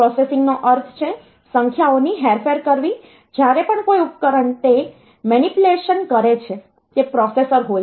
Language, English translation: Gujarati, So, processing means to manipulate the numbers, whenever a device is doing those manipulation so that is a processor